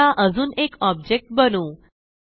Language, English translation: Marathi, Now, let us create one more object